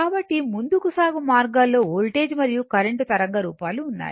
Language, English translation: Telugu, So, leading means you have a suppose voltage and current waveform